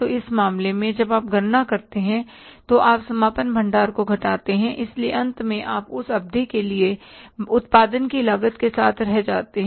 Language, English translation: Hindi, So in this case when you calculate the you subtract the closing, so you are left with the cost of production for the period